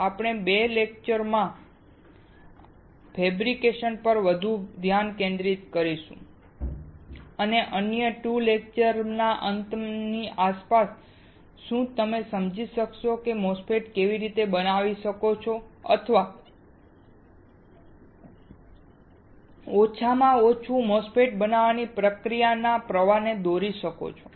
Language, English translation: Gujarati, In the next 2 lectures, we will be focusing more on the fabrication part and sometime around the end of another 2 lectures, will you be able to understand how you can fabricate a MOSFET or at least draw the process flow for fabricating a MOSFET